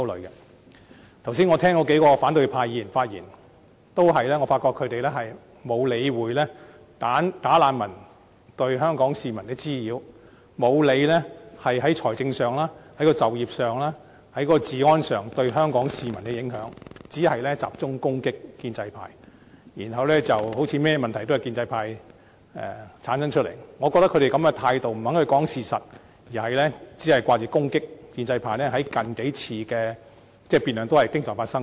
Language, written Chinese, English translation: Cantonese, 我剛才聆聽數位反對派議員的發言，發覺他們均沒有理會"假難民"對香港市民造成的滋擾，沒有理會他們在財政上、就業及治安方面，對香港市民的影響，只是集中攻擊建制派，彷彿甚麼問題皆由建制派製造出來，我覺得他們這個態度是不肯說事實，只管攻擊建制派，在近數次的辯論均經常發生這種情況。, I have listened to the speeches of several opposition Members just now and found that they simply ignore the nuisance caused by such bogus refugees to Hong Kong people and also their financial employment and security impacts on Hong Kong people . They only focus on assailing the pro - establishment camp as if all problems are caused by the latter . I think their attitude is one of refusing to talk about any facts and concentrating on assailing the pro - establishment camp